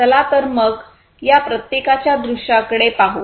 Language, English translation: Marathi, So, let us now look at the view of each of these